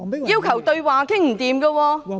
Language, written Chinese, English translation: Cantonese, 要求對話也談不攏......, The request for a dialogue has also been unsuccessful